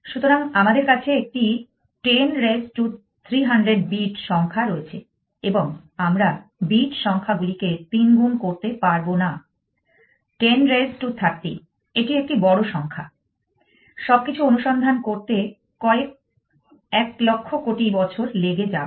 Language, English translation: Bengali, So, we have a 10 raised to 300 bit number essentially and we you has to see in earlier that we cannot trifled bit numbers like 10 raise to 30, it is it is a huge number, little take a billions of years to search through all these things